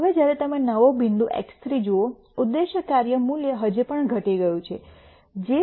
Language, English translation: Gujarati, Now, when you look at the new point X 3 the objective function value has decreased even more it has become minus 2